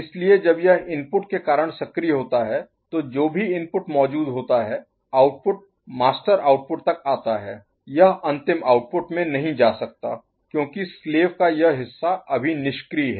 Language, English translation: Hindi, So, when it is active so because of the input, whatever the input is present the output comes up to the master output; it cannot go to the final output because this part of the slave is now inactive ok